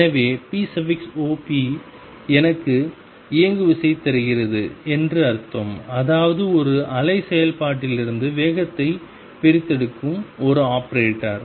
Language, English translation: Tamil, So, it does make sense that p operator gives me momentum; that means; this is an operator that extracts right the momentum out of a wave function